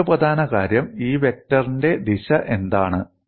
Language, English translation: Malayalam, And another important aspect is, what is the direction of this vector